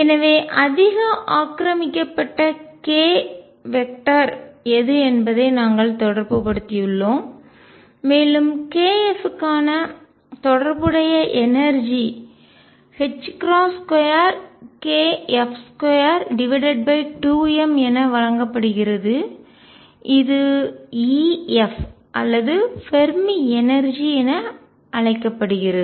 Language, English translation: Tamil, So, we have related what is the highest occupied k vector and the corresponding energy for k f is given as h crosses square k f square over 2 m which is known as the epsilon f of Fermi energy